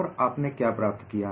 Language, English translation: Hindi, And what do you find here